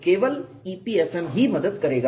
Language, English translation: Hindi, Only EPFM will help